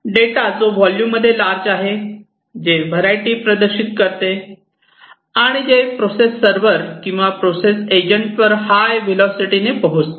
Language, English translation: Marathi, Data which is large in volume which exhibits variety and which arrives at high velocities at the processing server or processing agent